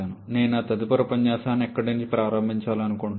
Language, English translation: Telugu, This is the point from where I would like to start my next lecture